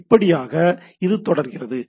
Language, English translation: Tamil, So, this goes on